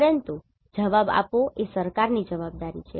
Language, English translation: Gujarati, But the responding is the responsibility of government